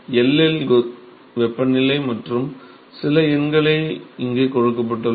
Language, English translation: Tamil, Temperature at L and some numbers are given here